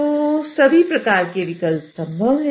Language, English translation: Hindi, So, all sorts of options are possible